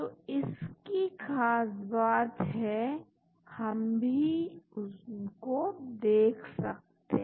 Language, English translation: Hindi, So, the beauty is, we can also look at them